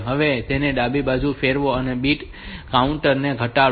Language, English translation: Gujarati, Rotate a left and decrement the bit counter